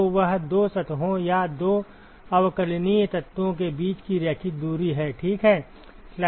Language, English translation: Hindi, So, that is the linear distance between the two surfaces or two differential elements, ok